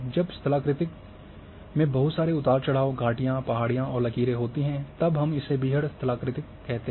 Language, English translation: Hindi, When topography is having lot of undulations valleys, hills and ridges we call as rugged topography